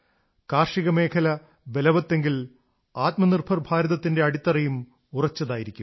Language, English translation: Malayalam, If they remain strong then the foundation of Atmanirbhar Bharat will remain strong